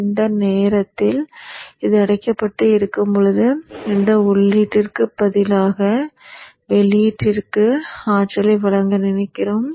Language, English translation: Tamil, And during that time when this is off, we would want this to supply energy to the output rather than to the input